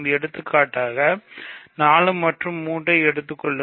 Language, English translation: Tamil, So, for example, let us take 4 and 3 ok